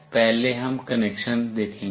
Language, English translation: Hindi, First we will see the connection